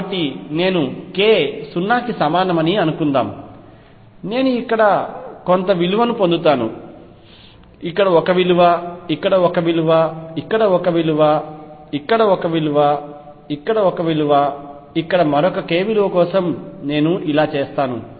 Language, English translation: Telugu, So, suppose I do it for k equals 0 I will get some value here, one value here, one value here, one value here one value here, I do it for another k nearby either a value here